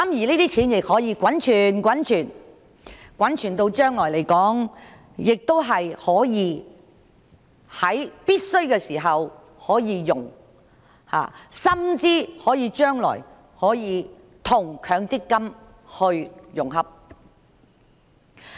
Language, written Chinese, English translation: Cantonese, 這些錢可以一直滾存，將來有必要時便可以使用，甚或將來可以與強積金合併。, The money will be rolled over and used in the future if necessary or even merged with the MPF